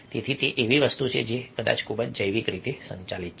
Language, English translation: Gujarati, so that is something which is probably very much biologically driven